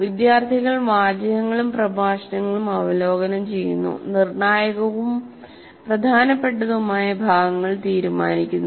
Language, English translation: Malayalam, Students review texts, illustrations and lectures deciding which portions are critical and important